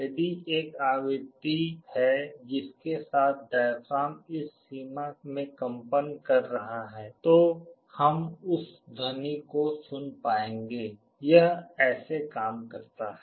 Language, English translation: Hindi, If there is a frequency with which the diaphragm is vibrating in this range, we will be able to hear that sound; this is how it works